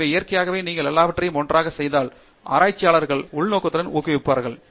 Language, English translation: Tamil, So, naturally if you put all these things together, researchers are intrinsically motivated